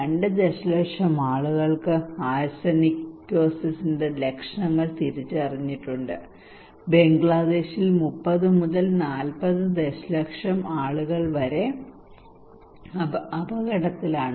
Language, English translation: Malayalam, 2 million people already identified symptoms of Arsenicosis okay and 30 to 40 million people are at risk in Bangladesh